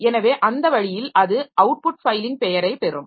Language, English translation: Tamil, So, that way you have to acquire output file name